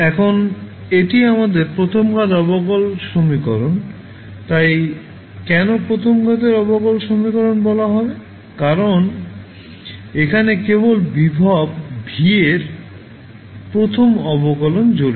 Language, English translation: Bengali, Now, this is our first order differential equation so, why will say first order differential equation because only first derivative of voltage V is involved